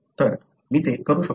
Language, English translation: Marathi, So, I can do that